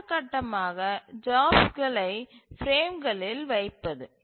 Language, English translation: Tamil, The next step would be to place the jobs into the frames